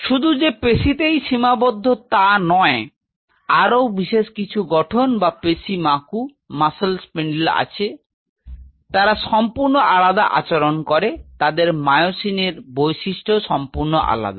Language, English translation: Bengali, There not only that within this muscle there are certain structures or muscle spindle, they behave entirely differently their myosin properties are entirely different